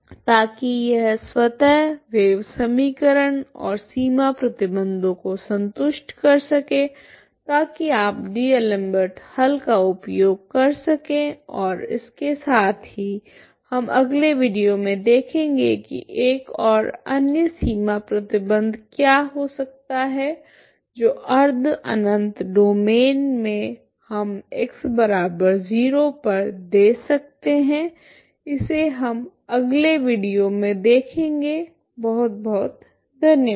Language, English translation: Hindi, So that this at automatically satisfy the wave equation and the boundary condition ok so that you can make use of D'Alembert solution and with that we will see in the next video as I will try to see that one and what are the other boundary conditions we can give at X equal to 0 in the semi infinite domain will see that in the next video, thank you very much